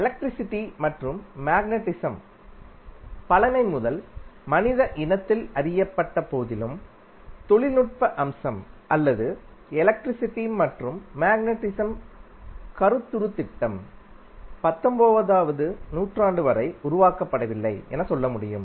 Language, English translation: Tamil, So, although the electricity and magnetism was known to mankind since ages but the the technical aspect or we can say the conceptual scheme of that electricity and magnetism was not developed until 19th century